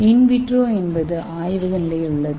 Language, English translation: Tamil, Now what is in vitro, in vitro means in lab condition